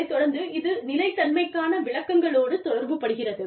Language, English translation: Tamil, This in turn, relates to the sustainability interpretations